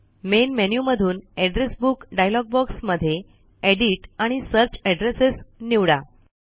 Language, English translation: Marathi, From the Main menu in the Address Book dialog box, select Edit and Search Addresses